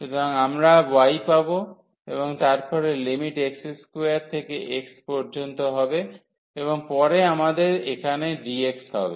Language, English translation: Bengali, So, we will get y and then the limit x square to x and then we have here dx